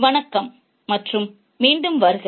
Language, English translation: Tamil, Hello and welcome back